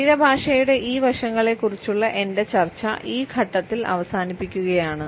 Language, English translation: Malayalam, I would end my discussion of these aspects of body language at this point